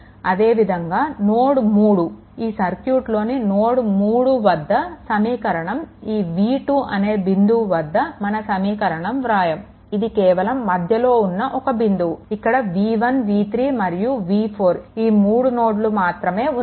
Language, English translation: Telugu, So, similarly similarly at node 3 and node node 3 and node for listen this is not here should not apply this is actually just intermediate point you have been asked this is v 1 v 3 and v 4 this 3 nodes are there